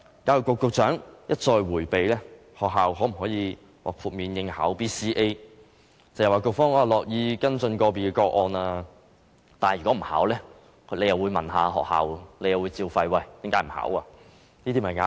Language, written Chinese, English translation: Cantonese, 教育局局長一再迴避學校能否獲豁免參加 BCA， 只謂局方樂意跟進個別個案，但如果學校不報考，又會"照肺"，問學校為何不報考，這些便是壓力。, The Secretary for Education has repeatedly avoided answering the question of whether schools would be exempted from participating in BCA . He only said that the Education Bureau would be willing to follow up on individual cases . However if a school does not enrol in BCA it will be bombarded with questions of why it does not enrol